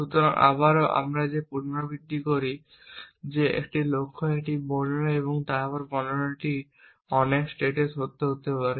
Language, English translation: Bengali, So, again that we repeat that is a goal is a description and the description may be true in many states as you can imagine